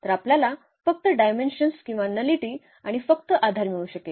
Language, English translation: Marathi, So, we can just get the dimension or the nullity and also the basis simply